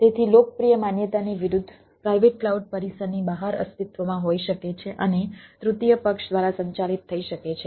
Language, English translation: Gujarati, so, contrary to popular belief, private cloud may exist off premises and can be managed by third party